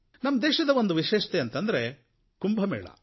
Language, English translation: Kannada, There is one great speciality of our country the Kumbh Mela